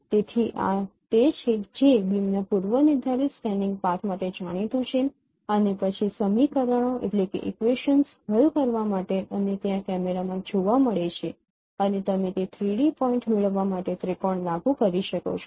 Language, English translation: Gujarati, So this is what known for a predetermined scanning path of the beam and then solving the equations and this is observed in camera and you apply triangulation to get the 3D point